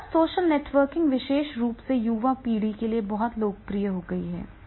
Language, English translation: Hindi, Then the social networking which is becoming very, very popular, especially into the young generation also